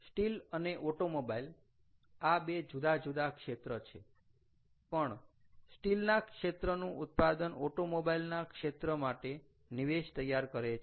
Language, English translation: Gujarati, steel and automobiles are two different sectors, but steel output of steel forms an input to automobile, right, for example